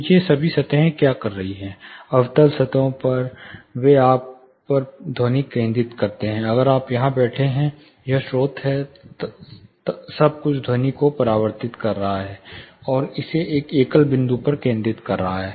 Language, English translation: Hindi, So, what all these surfaces are doing; concave surfaces, they focus sound on you, if you are sitting here; say receiver one this is the source, everything is reflecting the sound, and channelizing it to one single point